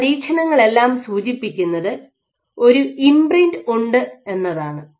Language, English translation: Malayalam, So, what all these experiments suggest is there is an imprint